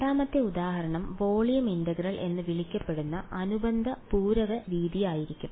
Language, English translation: Malayalam, The 2nd example is going to be related complementary method which is called volume integral ok